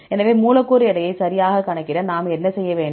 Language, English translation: Tamil, So, how to calculate the molecular weight